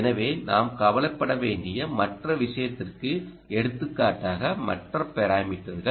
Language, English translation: Tamil, so, ah, other thing which perhaps we will have to worry about is there are other parameters as well